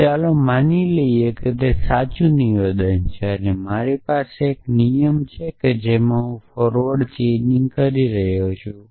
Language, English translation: Gujarati, So, let us assume that that is a true statement and I have a rule which I am let us say I am doing forward chaining